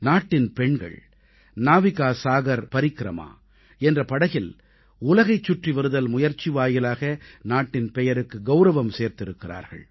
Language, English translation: Tamil, Daughters of the country have done her proud by circumnavigating the globe through the NavikaSagarParikrama